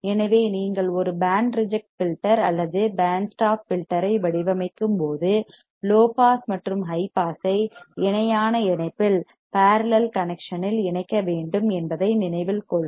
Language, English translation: Tamil, So, you remember that when you must design a band reject filter or band stop filter you have to connect low pass and high pass in a parallel connection